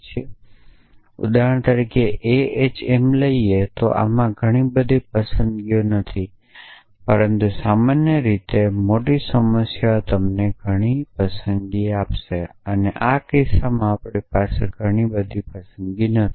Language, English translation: Gujarati, So, for example, a h m well in this there are not too many choices, but in general a larger problem will after you many choices, but in this case we do not have too many